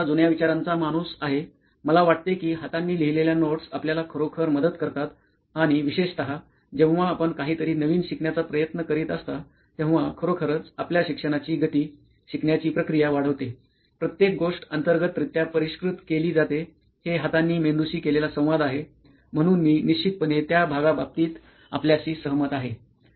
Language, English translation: Marathi, I am an old school thinker that way that I think notes hand written notes actually help you and for particularly when you are trying to learn something new it really enhances your learning speed, learning process, everything is refined internally, it is a hand talks to the mind kind of thing, so definitely I agree with you on that part